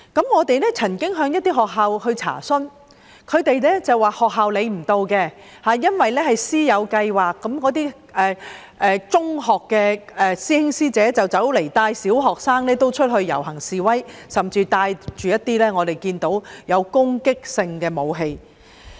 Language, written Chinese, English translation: Cantonese, 我們曾經向一些學校查詢，但所得的回覆是學校管不了，因為那是師友計劃，中學的師兄師姐會帶小學生出去遊行示威，我們甚至看到他們帶着攻擊性武器。, We have made enquiries with a number of primary schools about this matter but their reply is that they had no say at all because those old boys and old girls who are currently secondary students had brought their students to join demonstrations and protests under their mentorship programmes . Those students were even seen to have carried offensive weapons